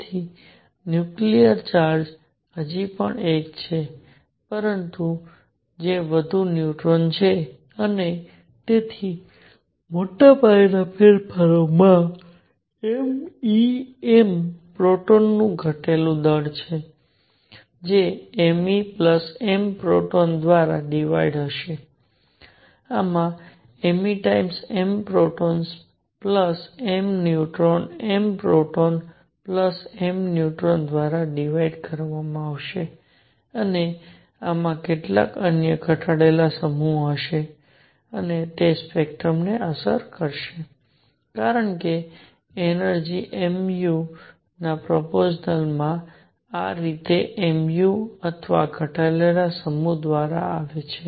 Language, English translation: Gujarati, So, the nuclear charge is still 1, but they are more neutrons and therefore, mass changes this would have a reduced mass of m e m proton divided by m e plus m proton, this would have a reduced mass of m e times m proton plus m neutron divided by m proton plus m neutron plus m e and this would have some other reduced mass and that would affect the spectrum because energy is proportional to the mu this is by the way denoted mu or the reduced mass